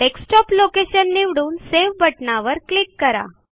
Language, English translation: Marathi, I will choose the location as Desktop and click on the Save button